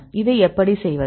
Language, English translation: Tamil, How to do this